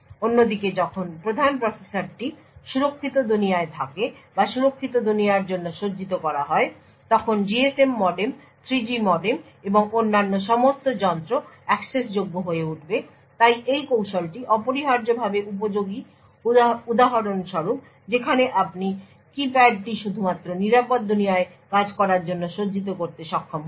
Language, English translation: Bengali, On the other hand when the main processor is in the secure world or configured for the secure world then the GSM modem the 3G modem and all other devices would become accessible so this technique is essentially useful for example where you are able to configure say the keypad to only work in the secure world